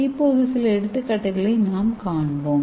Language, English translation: Tamil, So let us see some example